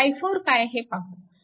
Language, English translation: Marathi, So, it is i 1